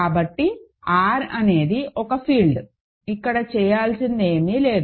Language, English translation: Telugu, So, R is a field there is nothing more to do here right